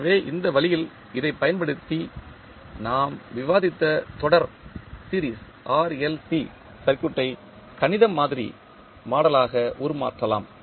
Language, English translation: Tamil, So, in this way using this you can transform the series RLC circuit which we discussed into mathematical model of the circuit